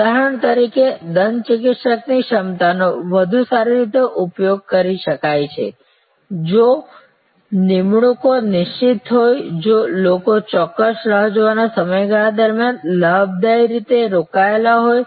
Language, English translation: Gujarati, Like for example, the dentist capacity can be better utilized if appointments are fixed, if people are gainfully engaged during a certain waiting period